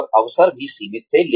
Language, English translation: Hindi, And, the opportunities were also limited